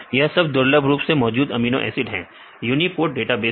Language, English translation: Hindi, These are rarely occurring amino acids in the uniprot database